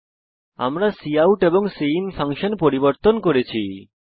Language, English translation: Bengali, And we have changed the cout and cin function